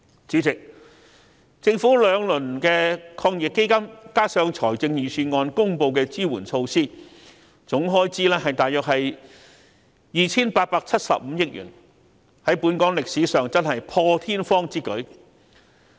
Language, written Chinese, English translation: Cantonese, 主席，政府推出兩輪抗疫基金，加上預算案公布的支援措施，總開支大約是 2,875 億元，在本港真的是破天荒之舉。, President in a move unprecedented in Hong Kong the Government has introduced two rounds of AEF and a series of support measures in the Budget totalling 287.5 billion